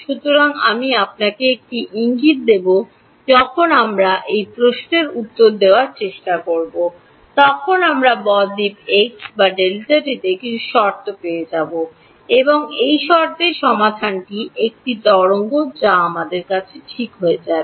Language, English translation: Bengali, So, I will give you a hint when we try to answer this question we will get some condition on delta x and delta t which will and under those conditions the solution is a wave that is what we will happen ok